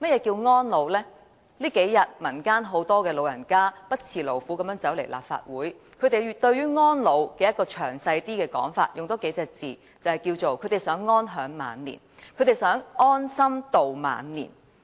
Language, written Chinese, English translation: Cantonese, 這數天，很多老人家不辭勞苦來到立法會，他們對於安老有詳細的說法，多加數個字來形容，就是他們想安享晚年。, Many elderly people have gone out of their way to come to the Legislative Council these past several days and they have a detailed description of elderly care which in a few words simply means they want to enjoy a secure old age